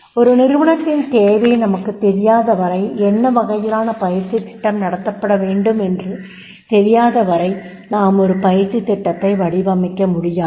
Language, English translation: Tamil, We cannot design a training program unless until we do not know the need, we do not know the topic, that is the what training program is to be conducted